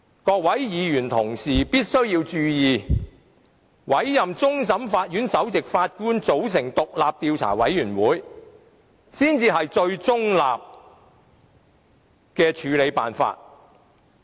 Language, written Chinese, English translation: Cantonese, 各位議員同事必須注意，委托終審法院首席法官組成獨立的調查委員會才是最中立的處理辦法。, Honourable colleagues should note that giving a mandate to the Chief Justice of CFA to form an independent investigation committee is the most impartial solution